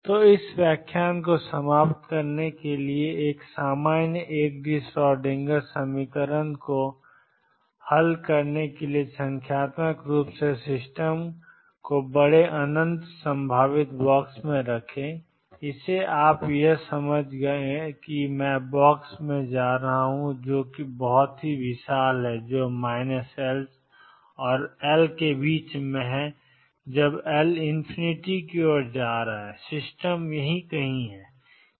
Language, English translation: Hindi, So, to conclude this lecture, to solve a general 1 D Schrodinger equation numerically put the system in large infinite potential box and by that you understand now that I am going to box which is huge minus L and L, L tending to infinity and system is somewhere here